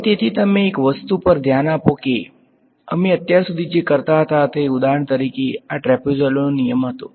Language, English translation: Gujarati, Now, so you notice one thing that what we were doing so far is for example, this was trapezoidal rule